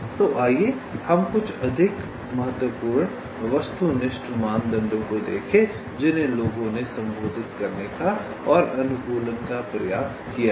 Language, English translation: Hindi, so let us look at some of the more important objective criteria which people have tried to address and tried to optimize